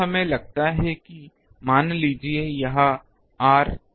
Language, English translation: Hindi, So, let us take that ah suppose this r this is thousand meter